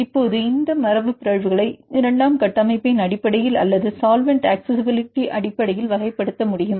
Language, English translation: Tamil, Now, it is possible to classify this mutants based on the secondary structure or based on the solvent accessibility